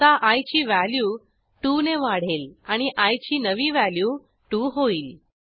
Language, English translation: Marathi, Now i will be incremented by 2 and the new value of i is 2